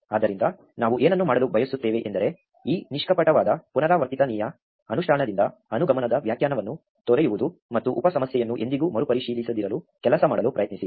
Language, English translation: Kannada, So, what we want to do is move away from this naive recursive implementation of an inductive definition, and try to work towards never reevaluating a sub problem